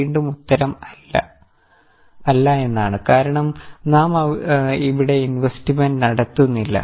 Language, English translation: Malayalam, Again the answer is no because we are not making investments here